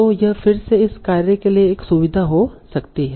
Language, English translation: Hindi, So, this can again be a feature for this task